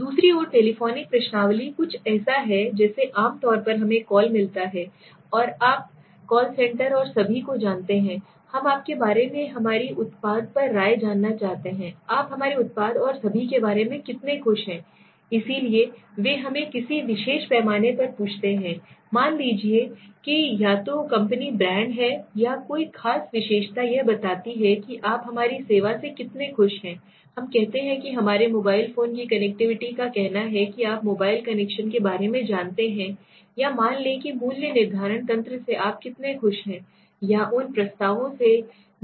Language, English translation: Hindi, Telephonic questionnaire on the other hand is something like generally we get calls from different you know call centers and all sir, we want to know about your opinion about our product, how happy are you about our product and all, so they ask us in a scale on a particular let s say either company brand or a particular attribute let s say how happy are you with the service of our let s say the connectivity of our let s say you know the mobile connection let s say or, let s say how good, how happy are you with the pricing mechanism or how happy are you with the let s say the offers that we provide, right